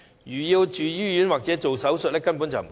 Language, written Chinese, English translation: Cantonese, 如果要住院或做手術，根本不足夠。, It is simply not enough to cover the expenses on hospitalization or surgeries